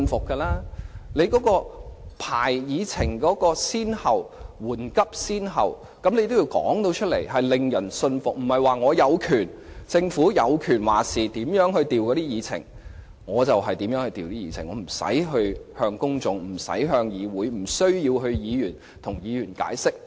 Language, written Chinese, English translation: Cantonese, 政府須說明編排議程緩急先後次序的理據，才會令人信服，而不是政府說了算，可任意改動議程，而不必向公眾、議會、議員解釋。, To convince us the Government must explain the reasons for setting the priority of agenda items . The Government cannot assume that it has the final say and can rearrange the order of agenda items at will without explaining to the public this Council and Members